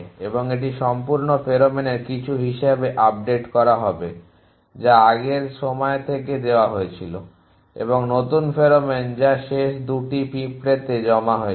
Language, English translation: Bengali, And this will be updated as some of the whole pheromone that was let from earlier times plus new pheromone which has been deposited by ants in the last 2